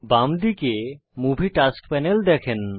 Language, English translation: Bengali, On the left hand side, you will see the Movie Tasks Panel